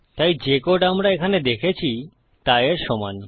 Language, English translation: Bengali, So the code we see here is the same as that